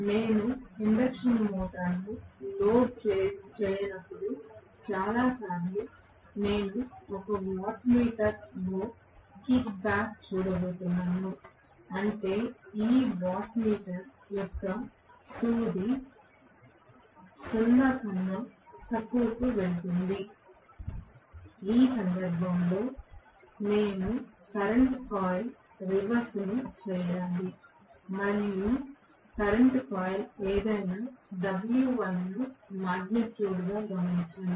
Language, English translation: Telugu, Most of the times when I am not going to have the induction motor loaded I am going to see that 1 of the watt meters might kick back that is I will have the needle of this watt meter going below 0 in which case I have to reverse the current coil and note down the w1 as the magnitude whatever it is the current coil